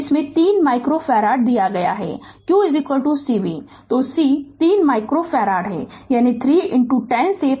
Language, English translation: Hindi, It is given 3 micro farad; q is equal to cv, so c is 3 micro farad; that means 3 into 10 to the power minus 6 farad